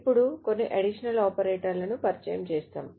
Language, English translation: Telugu, Now we will introduce some additional operators